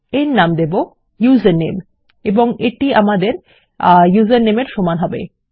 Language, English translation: Bengali, Ill call it username and that will be equal to our username